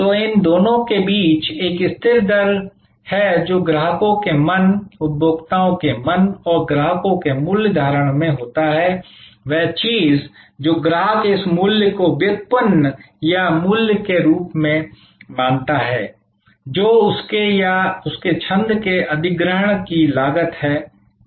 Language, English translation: Hindi, So, there is a constant rate of between these two, which happens in customers mind, consumers mind and the customers value perception that thing that is what the customer consider as this value derived or value delivered to him or her verses the cost of acquisition of the service